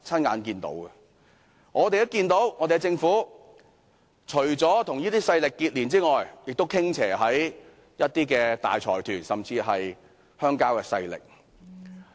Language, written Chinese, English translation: Cantonese, 我們看到政府除了與這些勢力連結外，亦向一些大財團甚至鄉郊勢力傾斜。, Apart from the tie with these forces we notice that the Government has also tilted towards certain large consortia and even rural forces